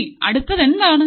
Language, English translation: Malayalam, Now what is the next thing